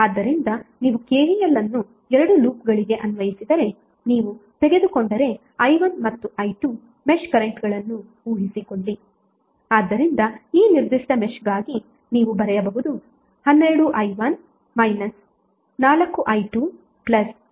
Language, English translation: Kannada, So if you apply KVL to the 2 loops that is suppose if you take i1 and i2 match currents i1 and i2